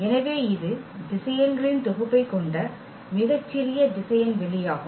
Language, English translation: Tamil, So, this is the smallest vector space containing the set of vectors